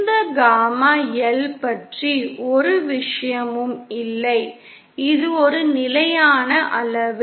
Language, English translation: Tamil, No see one thing about this gamma L is that this is a constant quantity